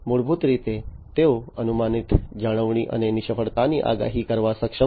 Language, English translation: Gujarati, So, basically they are able to perform predictive maintenance and failure forecasting